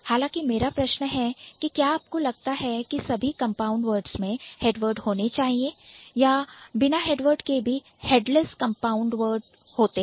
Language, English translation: Hindi, However, my question for you would be, do you think all compound words must have head words or there are certain instances of headless compound words too